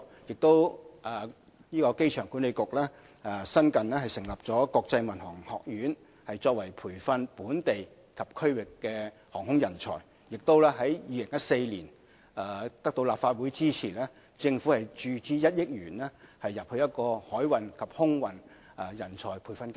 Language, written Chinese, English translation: Cantonese, 機場管理局也新近成立香港國際航空學院，培訓本地及區域航空人才；在2014年，政府得到立法會的支持，注資成立1億元的海運及空運人才培訓基金。, The Airport Authority recently established the Hong Kong International Aviation Academy to nurture local and regional aviation talents . In 2014 the Government secured funding approval from the Legislative Council and established the 100 million Maritime and Aviation Training Fund